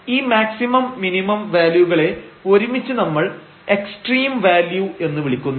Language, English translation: Malayalam, And these maximum and minimum values together these are called the extreme values